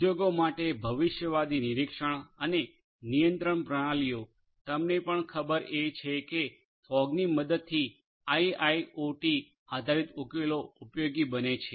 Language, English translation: Gujarati, Futuristic monitoring and control systems for industries, they are also you know IIoT based solutions using fog are useful